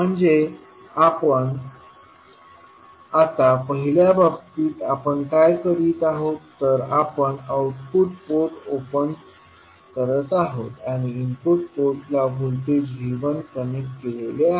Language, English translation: Marathi, We are opening the output port and the input port we have a voltage connected that is V 1